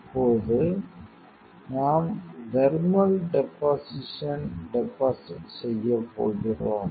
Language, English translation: Tamil, So, now, we are going to deposit thermal deposition